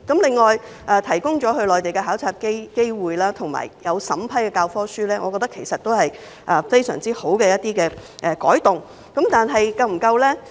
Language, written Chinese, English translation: Cantonese, 此外，提供到內地考察的機會，以及審批教科書，我認為均是非常好的改動，但是否足夠呢？, Moreover in my view the provision of Mainland study opportunities and the review of textbooks are very good changes but are they sufficient?